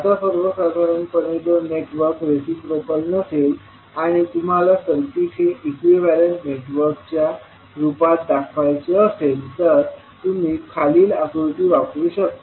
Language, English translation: Marathi, Now, in general if the network is not reciprocal and you want to represent the circuit in equivalent in the form of equivalent network you can use the following figure